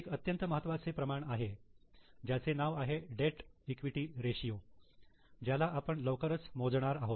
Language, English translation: Marathi, There is very important ratio called as debt equity ratio which we will be calculating soon